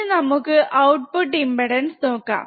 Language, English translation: Malayalam, So, this is about the output impedance